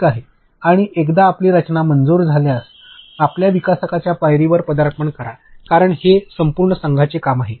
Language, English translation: Marathi, And once your design is approved then you go into development because, it is an entire team effort